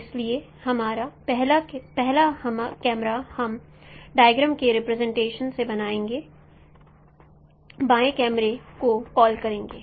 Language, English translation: Hindi, So first camera we will call left camera because from the from the diagrams, representation the diagram